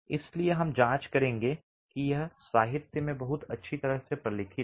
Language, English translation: Hindi, So, we will examine that it is very well documented in the literature